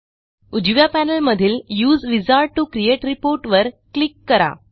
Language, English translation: Marathi, On the right panel, let us click on Use Wizard to create report